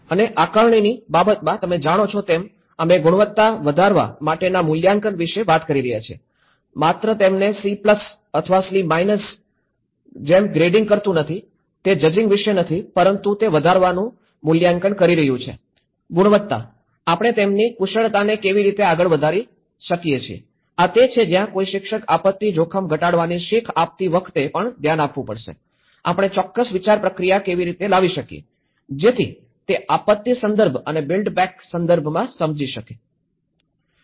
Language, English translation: Gujarati, And in terms of assessment, you know, we talk about the assessment to increase the quality not just only grading them like C plus or C minus, itís not about the judging but it is assessing to increase the quality, how we can enhance their skills further, this is where a teacher has to look at even when teaching the disaster risk reduction, how we can bring certain thought process, so that he can understand the disaster context and the build back better context